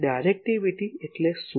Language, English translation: Gujarati, What is directivity